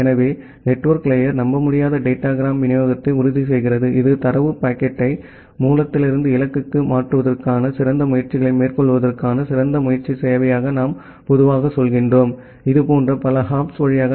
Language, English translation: Tamil, So, the network layer ensures unreliable datagram delivery which is a kind of what we normally say as the best effort service to tries its best to transfer the data packet from the source to the destination, via multiple such hops